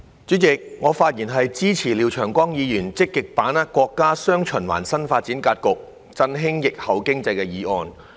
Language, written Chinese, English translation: Cantonese, 主席，我發言支持廖長江議員"積極把握國家'雙循環'新發展格局，振興疫後經濟"的議案。, President I speak in support of Mr Martin LIAOs motion on Actively seizing the opportunities arising from the countrys new development pattern featuring dual circulation to revitalize the post - pandemic economy